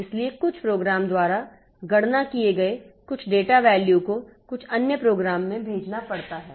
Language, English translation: Hindi, So some data value computed by some program has to be sent to some other program